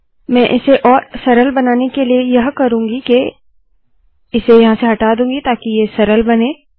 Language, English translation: Hindi, What I will do to make it easier, I will first remove this so that it becomes easy